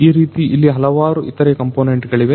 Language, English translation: Kannada, So, like this there are different other components